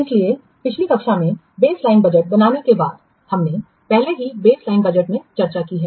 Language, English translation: Hindi, So, after creating the baseline budget, we have already discussed best line budget in the last class